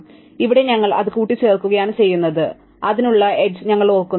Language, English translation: Malayalam, So, here we are doing that we are adding it and we are also remembering the edge to that